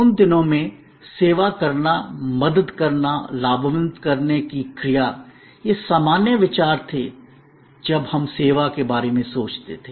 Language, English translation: Hindi, In those days, the action of serving, helping, benefiting, these were the usual connotations when we thought of service